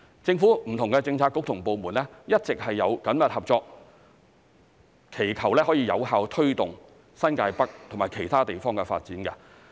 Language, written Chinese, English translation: Cantonese, 政府不同的政策局及部門一直有緊密合作，以有效推動新界北及其他地方的發展。, Different Policy Bureaux and departments have worked closely together to promote the development of New Territories North and other places effectively